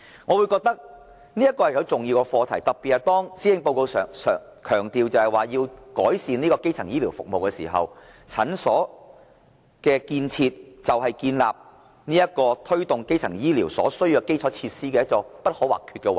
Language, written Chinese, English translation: Cantonese, 我認為這是重要的課題，特別是當施政報告強調要改善基層醫療服務，診所建設是推動基層醫療服務的基礎設施，是不可或缺的部分。, I think this is a significant matter particularly when the Policy Address emphasizes the need to enhance primary health care services for clinics are fundamental facilities for promotion of primary health care services